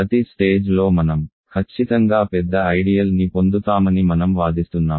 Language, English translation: Telugu, I claim that each stage we get a strictly bigger ideal